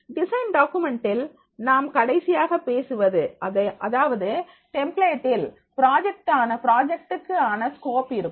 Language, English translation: Tamil, In design documents, so finally what we talk about that is a template will be having the scope of the project